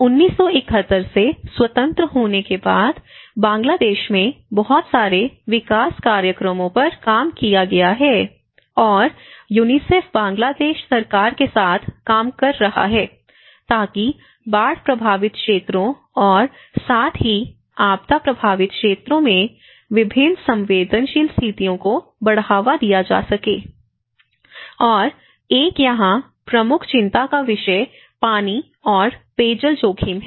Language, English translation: Hindi, And this Bangladesh after becoming independent from 1971 and till 1980’s, a lot of development programs has been worked, and UNICEF has been working with the Bangladesh government sector in order to promote various vulnerable situations in the flood prone areas and as well as the disaster affected areas, and one of the major concern here is the water and the drinking water risks